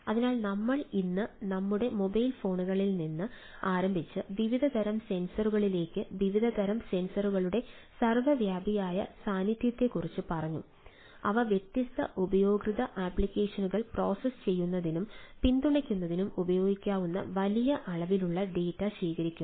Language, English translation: Malayalam, there is a omnipresent ah presence of different kind kind of sensors, starting from our mobile phones to different category of sensors, which is collecting huge volume of data which could have been used for processing and supporting different user applications